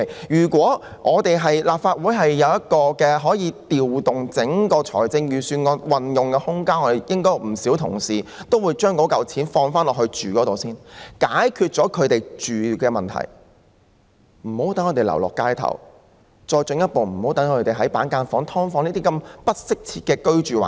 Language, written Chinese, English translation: Cantonese, 如果立法會可以有空間調動預算案的撥款運用，應有不少議員會提出把款項用作住屋用途，先解決他們的住屋問題，讓他們無需流落街頭，無需繼續居於板間房或"劏房"等不適切的居住環境。, If the Legislative Council can have the room for adjusting the uses of the Budgets appropriations many Members will probably propose to spend money for providing accommodation so as to resolve their housing problem on a priority basis and spare them the need of living on the streets or continuing to live in inadequate housing conditions such as partitioned units and subdivided units